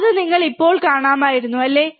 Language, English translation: Malayalam, So, you could see now, right